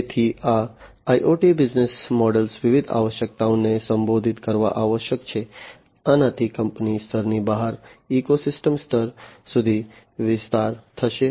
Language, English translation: Gujarati, So, these IoT business models must address different requirements, this would extend the scope beyond in the company level to the ecosystem level